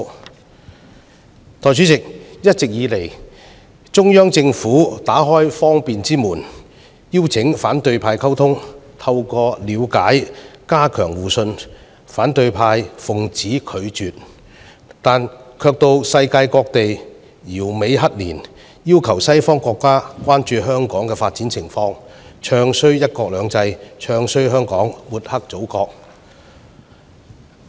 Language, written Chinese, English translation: Cantonese, 代理主席，一直以來，中央政府打開方便之門，邀請反對派溝通，透過了解加強互信，但反對派奉旨拒絕，卻到世界各地搖尾乞憐，要求西方國家關注香港的發展情況，"唱衰""一國兩制"、"唱衰"香港、抹黑祖國。, Deputy President the Central Government has always kept the door of communication opened to the opposition camp in the hope of enhancing trust through mutual understanding . However the opposition camp has always refused the invitations . Instead they went to all parts of world to beg for mercy requested Western countries attention to the development of Hong Kong bad - mouthed one country two systems bad - mouthed Hong Kong and smeared the Motherland